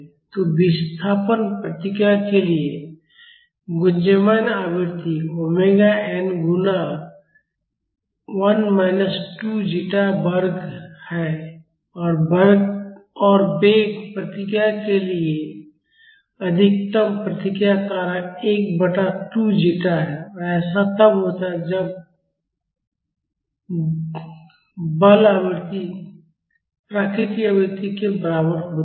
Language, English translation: Hindi, So, the resonant frequency for the displacement response is omega n multiplied by 1 minus 2 zeta square and for velocity response the maximum response factor is 1 by 2 zeta and this happens when the forcing frequency is equal to the natural frequency